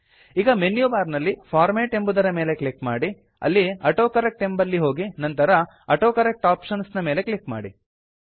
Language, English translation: Kannada, Now click on the Format option in the menu bar then go to the AutoCorrect option and then click on the AutoCorrect Options